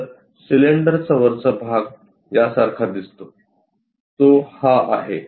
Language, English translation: Marathi, So, the cylinder top portion looks like this one, that one is this